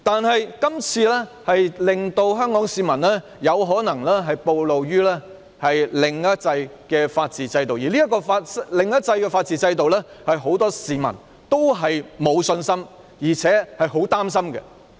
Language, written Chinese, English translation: Cantonese, 可是，這次修例的安排，令香港市民可能曝露於"另一制"的法治制度下，而這"另一制"的法治制度是很多市民也沒有信心和擔心的。, But this time around the legislative amendment on this occasion may cause Hong Kong citizens to be exposed to the legal system of the other system and many members of the public have no confidence in and are concerned about the legal system of this other system